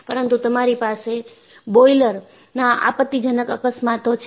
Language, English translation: Gujarati, But, you had catastrophic accidents of boilers